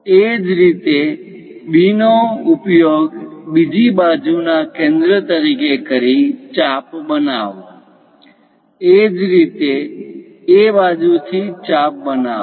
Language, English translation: Gujarati, Similarly, use B as centre on the other side construct an arc; similarly, from A side, construct an arc